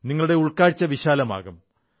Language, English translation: Malayalam, Your thinking will expand